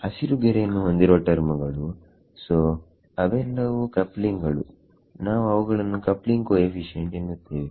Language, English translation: Kannada, The terms underlined in green, so they are all the coupling we call them the coupling coefficients